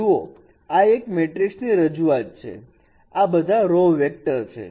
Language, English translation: Gujarati, So this is a matrix representation and all these are row vectors